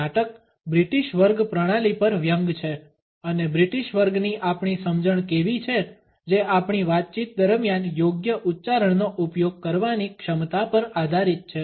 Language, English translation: Gujarati, This play is a satire on the British class system and how our understanding of the British class is based on our capability to use a proper accent during our conversation